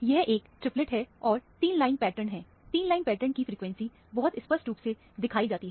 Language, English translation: Hindi, This is a triplet, and the 3 line pattern is, the frequency of the 3 line pattern is very clearly shown